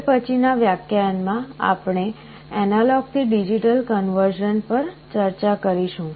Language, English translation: Gujarati, In the next lecture, we shall be starting our discussion on the reverse, analog to digital conversion